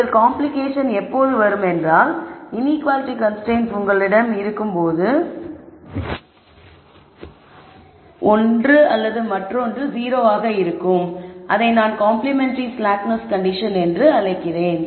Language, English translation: Tamil, The only complication comes in when you have these inequality constraints where either you know you have can have one or the other be 0 that is what we call as complementary slackness